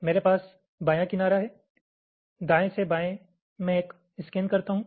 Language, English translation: Hindi, suppose i have a layout, i have my left edge, i left to right, i make a scan